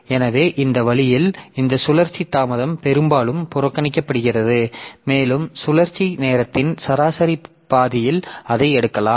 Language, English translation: Tamil, So, that way this rotational latency is often ignored and we can take it on an average half of the rotation time